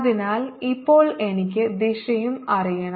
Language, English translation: Malayalam, so now i have to also know the direction